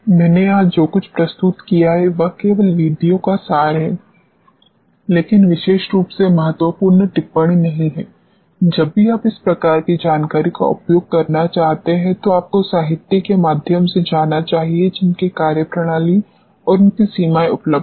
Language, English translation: Hindi, What I have presented here is only a gist of the methods but not the critical commentary particularly whenever you want to use this type of information, you should go through the literature which is available on the methodologies and their limitations